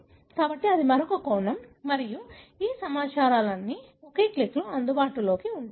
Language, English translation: Telugu, So, that is another aspect and all these informations are available in one click